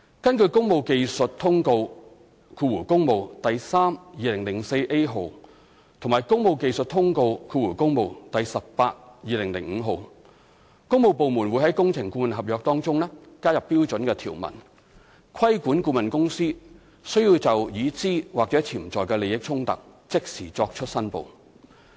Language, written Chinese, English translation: Cantonese, 根據《工務技術通告第 3/2004A 號》和《工務技術通告第 18/2005 號》，工務部門會在工程顧問合約中加入標準條文，規管顧問公司須就已知或潛在的利益衝突即時作出申報。, According to Technical Circular Works No . 32004A and Technical Circular Works No . 182005 works departments will specify in consultancy agreements the requirement for the consultant to declare immediately any actual or potential conflict of interest